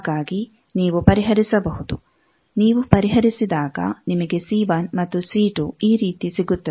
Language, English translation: Kannada, So, you can solve if you solve you get c1 is this and c2 is this